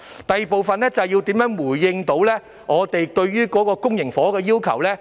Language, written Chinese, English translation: Cantonese, 第二部分是如何能夠回應我們對於公型房屋的要求。, The second part is about how the authorities can respond to our demand for public housing